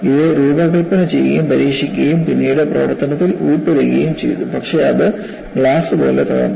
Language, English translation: Malayalam, It was designed, tested, then only put into service, but it broke like glass